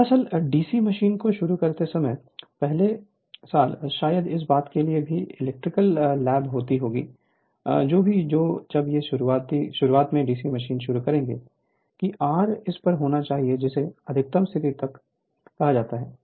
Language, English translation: Hindi, Actually when you start the DC machine right, first year also perhaps you will lab electrical lab also for this thing or whatever it is right whenever you start the DC machine at the beginning that R should be at this your what you call maximum position right